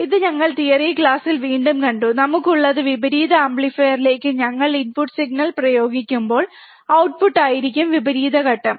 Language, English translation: Malayalam, this we have already seen again in the theory class, what we have seen, that when we apply the input signal to the inverting amplifier, the output would be opposite phase